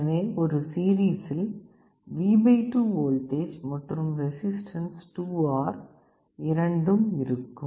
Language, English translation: Tamil, So, you assume that there is a voltage V / 2 with a resistance 2R in series